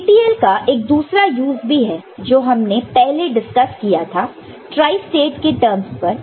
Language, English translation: Hindi, There is another use of TTL, the thing that we discussed earlier in terms of tri state, ok